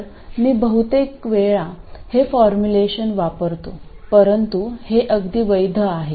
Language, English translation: Marathi, So, I just use this formulation most of the time, but this is perfectly valid